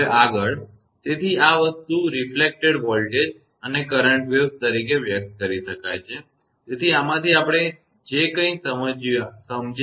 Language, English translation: Gujarati, Next therefore, this thing the reflected voltage and current waves can be expressed as; so from this whatever we have explained